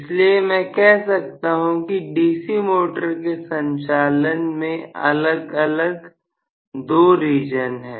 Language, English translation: Hindi, So, I can say there are distinctly two regions of operation of a DC motor